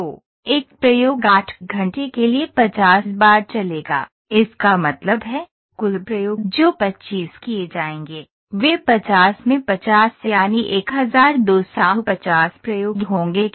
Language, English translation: Hindi, So, one experiment would run for 50 times for 8 hours; that means, total experiments that would be conducted would be 25 into 50 that is 1250 experiments